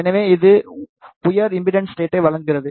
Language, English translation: Tamil, So, it provides a high impedance state